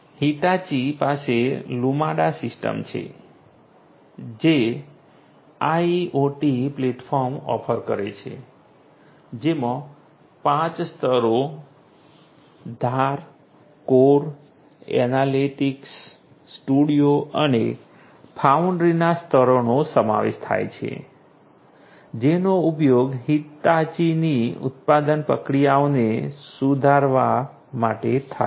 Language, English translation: Gujarati, Hitachi has the Lumada system which offers a IoT platform comprising of 5 layers, the layers of edge, core, analytics, studio and foundry which are used together in order to improve the manufacturing processes of Hitachi